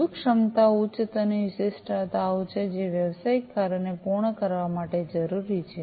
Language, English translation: Gujarati, Fundamental capabilities are high level specifications, which are essential to complete business tasks